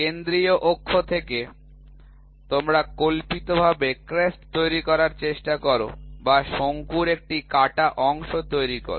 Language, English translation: Bengali, From the central axis to you try to imaginarily make a crest, right or make a truncation of the cone